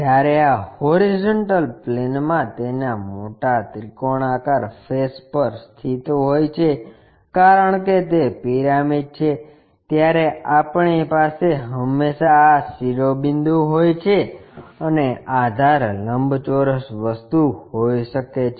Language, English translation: Gujarati, When it lies on one of its larger triangular faces on horizontal plane, because it is a pyramid, we always have these apex vertex and base might be rectangular thing